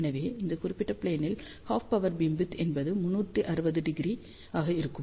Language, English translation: Tamil, So, half power beamwidth in this particular plane will be 360 degree